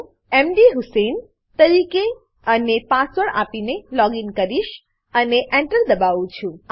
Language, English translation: Gujarati, I will login as mdhusein and give the password and press Enter